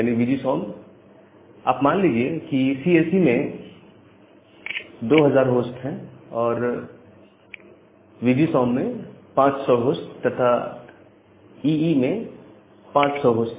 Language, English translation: Hindi, Now, assume that the CSE has 2000 host, VGSOM has 500 host, and EE has 500 host